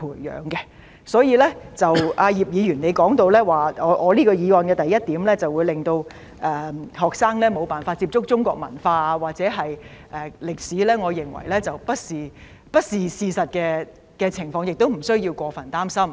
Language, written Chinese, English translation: Cantonese, 葉議員說，我原議案的第一點會令學生無法接觸中國文化和歷史，我認為不是事實，亦不需要過分擔心。, Mr IP said that point 1 of my original motion will deprive students of exposure to Chinese culture and history . I disagree and I think there is no cause for excessive worries